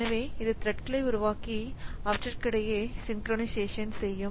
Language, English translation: Tamil, So, it will create threads and do synchronization between them